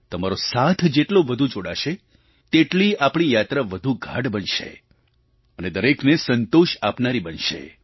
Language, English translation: Gujarati, The more you connect with us, our journey will gain greater depth, providing, satisfaction to one and all